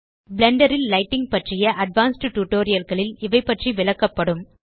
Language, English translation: Tamil, These settings will be covered in more advanced tutorials about lighting in Blender